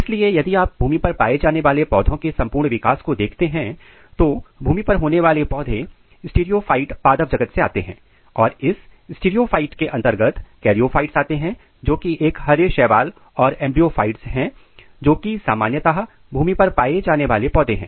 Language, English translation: Hindi, So, the land plants they belongs to streptophytes clade of plant kingdom and this streptophyte clades it includes charyophytes which is green algae and embryophytes which is typically called land plant